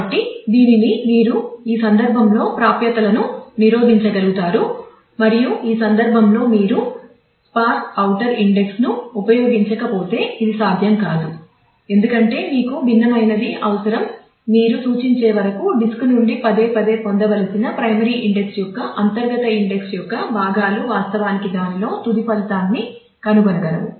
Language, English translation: Telugu, So, with this you would be able to manage with to block accesses in this case and that is how the multiple this would not have been possible if in this case you would not have done the sparse outer index, because you would have required the different parts of the inner index of the primary index to be fetched repeatedly from the disk till you act could actually find the final result in that